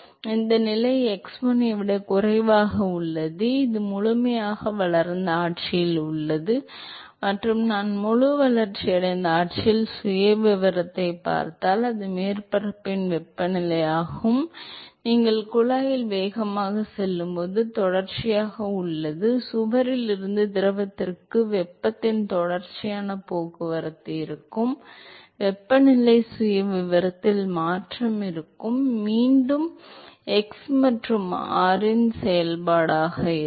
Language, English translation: Tamil, So, this is that position x1 which is less than, the fully developed regime and if I look at the profile at the fully developed regime, once again that is a temperature of the surface and as you go fast into the pipe there is continuous, there will be continuous transport of heat from the wall to the fluid and so there will be a change in the temperature profile, once again this will be a function of x and r